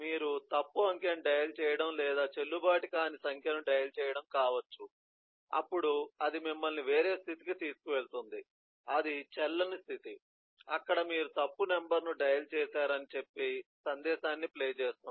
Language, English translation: Telugu, it could be that you dial a dial a wrong eh digit, or you dial a number which is not valid, then will take you to a different state, which is invalid state, where the action is to play the message saying that you have eh dialed a wrong number or something